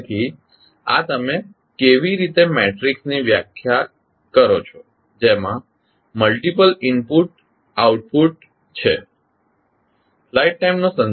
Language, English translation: Gujarati, So, this is how you define the matrix which contains the multiple output and multiple input